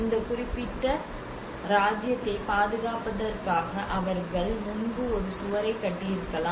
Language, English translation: Tamil, Obviously they might have built a wall before in order to protect this particular kingdom